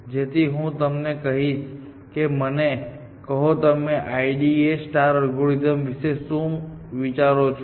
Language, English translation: Gujarati, So, maybe I will ask you to tell me, what do you think of the I D A star algorithm